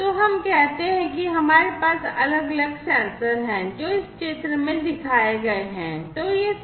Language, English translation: Hindi, So, let us say that we have different sensors like the ones that are shown in this figure